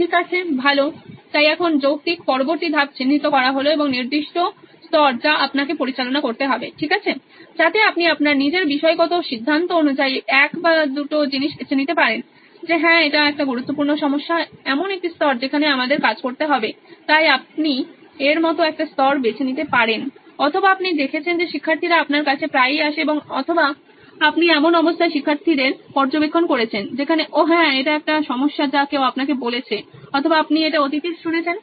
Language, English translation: Bengali, Okay, so good so now the logical next step is to identify a particular level at which you have to operate, okay so you can pick saying one or two things is that you see that according to your own subjective judgment that yes this is a very important problem a level at which we have to work and so you can pick one level like that or you have seen students come often to you and or you have observed students in a state where oh yeah this is a problem somebody has voiced it to you or you have heard it in the past